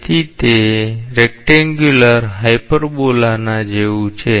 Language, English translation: Gujarati, So, it is like a rectangular hyperbola type